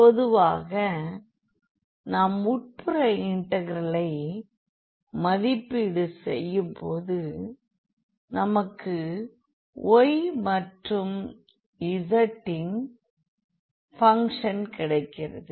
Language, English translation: Tamil, So, in general the after evaluation of the inner integral we will get a function of y and z